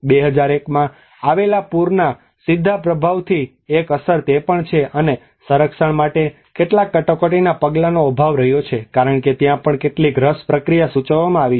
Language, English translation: Gujarati, So one is there is a direct impact of the major flooding in 2011which, and there has been lack of some emergency measures for conservation as well because there is a also some rush process indicated